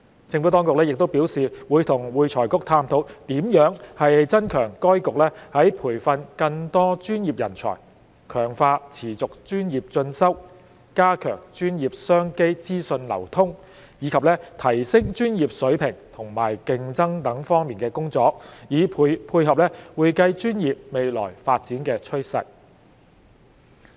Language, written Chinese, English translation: Cantonese, 政府當局亦表示會與會財局探討如何增強該局在培訓更多專業人才、強化持續專業進修、加強專業商機資訊流通，以及提升專業水平和競爭力等方面的工作，以配合會計專業未來的發展趨勢。, The Administration has also advised that it will explore with AFRC ways to step up the latters work in areas such as nurturing more professionals strengthening CPD enhancing access to information on professional business opportunities and reinforcing professional standards and competitiveness so as to support the future development of the accounting profession